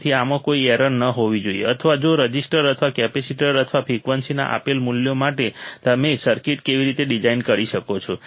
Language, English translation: Gujarati, So, there should be no mistake in this or if for the given values of resistors or capacitor or frequency how you can design the circuit